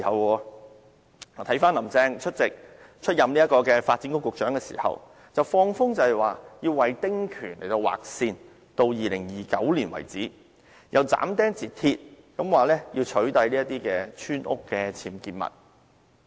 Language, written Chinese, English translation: Cantonese, 回看她出任發展局局長時，放風說要為丁權劃線至2029年為止；又斬釘截鐵地說要取締這些村屋僭建物。, When she was Secretary for Development she sounded out her intention of drawing a cut - off line for the small house concessionary right in 2029 . She also categorically announced that unauthorized structures of village houses would be removed